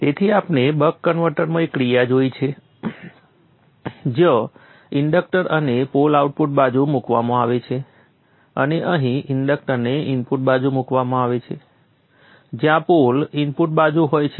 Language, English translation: Gujarati, So we have seen one action in the buck converter where the inductor and the pole are placed towards the output side and here the inductor is placed towards the input side where the pole is on the input side